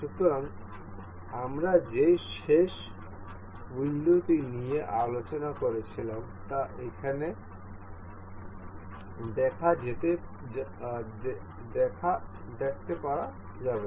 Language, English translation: Bengali, So, the same last window that we are we were discussing can can be seen here